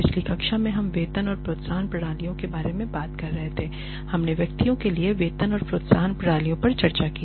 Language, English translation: Hindi, In the last class we were talking about Pay and Incentive Systems and we discussed the pay and incentive systems for individuals